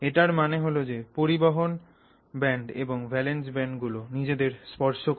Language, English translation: Bengali, So, which means the conduction band and the valence band just about touch each other, okay